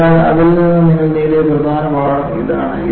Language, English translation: Malayalam, So, that is the important learning that you gained from that